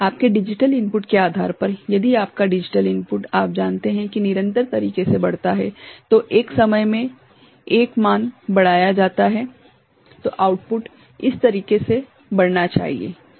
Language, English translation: Hindi, Depending on your digital input if your digital input is increased you know in a continuous manner, you know 1 value at a time, incremented then the output should increase in this manner, is it ok